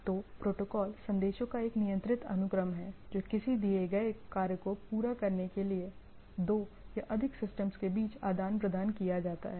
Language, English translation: Hindi, So, protocol is a controlled sequence of messages that is exchange between the two or more system to accomplish a given task right